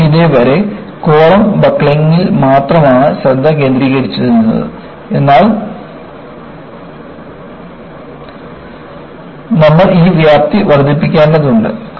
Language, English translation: Malayalam, See, all along, you have been concentrating only on column buckling, but you have to enlarge this scope